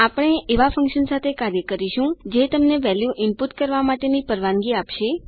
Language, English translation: Gujarati, We will deal with a function that allows you to input a value